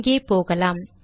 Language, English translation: Tamil, Let me go here